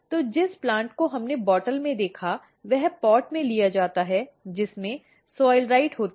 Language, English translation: Hindi, So, the plant that we saw in the bottle, that is taken in a pot which has soilrite in it